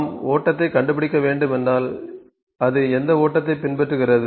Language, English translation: Tamil, If we need to find the flow at which flow does it follow